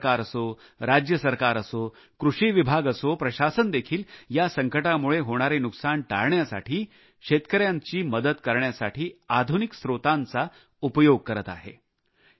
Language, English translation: Marathi, Be it at the level of the Government of India, State Government, Agriculture Department or Administration, all are involved using modern techniques to not only help the farmers but also lessen the loss accruing due to this crisis